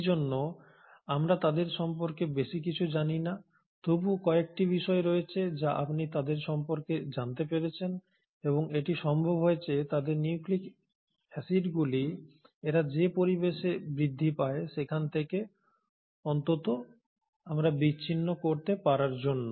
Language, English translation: Bengali, And hence we do not know much about them but there are a few things which you have still figured out about them and thatÕs thanks to our ability to at least isolate their nucleic acids from the environment in which they grow